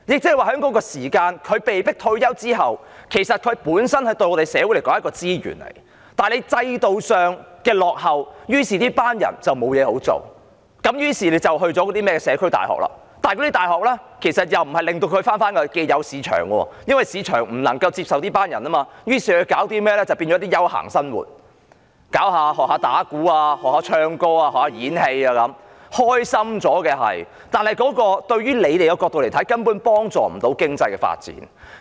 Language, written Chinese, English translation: Cantonese, 他們在被迫退休的時候，對社會來說是一種資源，但制度上的落後令這群人沒有工作，於是他們便報讀甚麼社區大學，但那些大學無法令他們重返既有的市場，因為市場不能夠接受這群人，於是他們唯有過着一些休閒的生活，學習打鼓、唱歌、演戲，生活是開心了，但從政府的角度來說，根本無法幫助經濟發展。, At the time when they are forced to retire they are a kind of resource to society but owing to the outdated institution these people have become jobless and so they take courses in community colleges . However these colleges are unable to help them return to the market because the market cannot accept them . Therefore they can only lead a leisurely life such as taking drum lessons and taking singing or acting classes